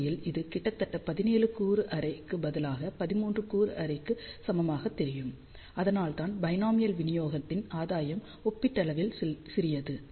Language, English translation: Tamil, So, In fact, this almost looks like equivalent to a 13 element array instead of 17 element array that is why gain of binomial distribution is relatively small